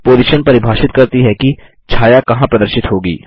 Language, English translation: Hindi, Position defines where the shadow will appear